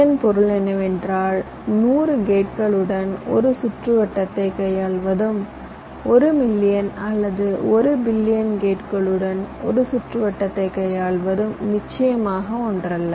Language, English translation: Tamil, you see, ah, handling a circuit with hundred gates and handling a circuit with one million or one billion gates is, of course, not the same